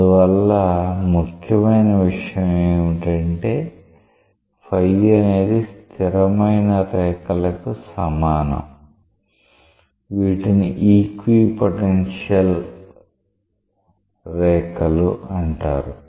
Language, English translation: Telugu, And therefore, the important conclusion is that phi equal to constant lines, which are called as equipotential lines